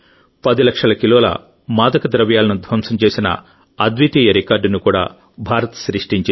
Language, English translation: Telugu, India has also created a unique record of destroying 10 lakh kg of drugs